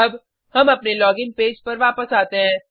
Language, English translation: Hindi, Now, let us come back to our login page